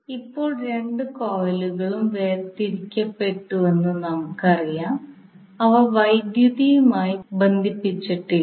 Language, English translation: Malayalam, Now as we know that the two coils are physically separated means they are not electrically connected